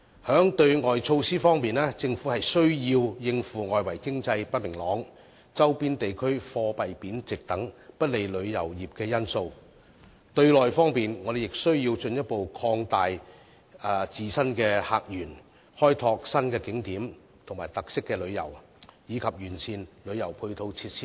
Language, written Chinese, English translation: Cantonese, 在對外方面，政府必須應付外圍經濟不明朗、周邊地區貨幣貶值等不利旅遊業的因素；對內方面，我們亦須進一步擴大自身的客源，開拓新景點和特色旅遊，以及完善旅遊配套設施等。, On the external front the Government must respond to the unfavourable factors for the tourism industry such as uncertain external economy and depreciation of currencies of the neighbouring areas etc . On the internal front we must open up more visitor sources develop new tourist attractions and tours with special features as well as improve the tourism complementary facilities